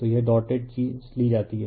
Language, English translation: Hindi, So, this dot thing is taken right